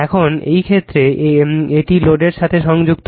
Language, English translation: Bengali, Now, in this case it is connected to the load